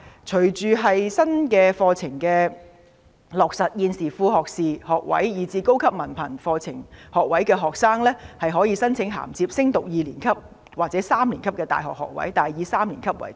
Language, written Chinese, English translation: Cantonese, 隨着新的課程落實，現時副學士學位及高級文憑課程學位學生，可以申請銜接升讀大學二年級或三年級的學位，但以三年級為多。, With the implementation of the new curricula students of Associate Degree programmes and Higher Diploma programmes can apply for top - up places for the second year or the third year in universities but most students will apply for top - up places for the third year